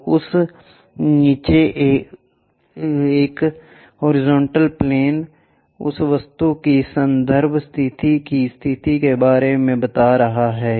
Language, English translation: Hindi, So, a horizontal plane above that below that we talk about position of reference position of that object